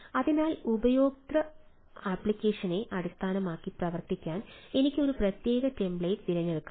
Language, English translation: Malayalam, so the based on the user application, i can select a particular template to work on